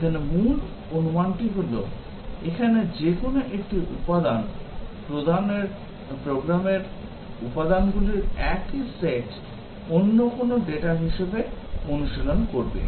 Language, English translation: Bengali, The main assumption here is that, any one element here will be exercising the same set of program elements as any other data here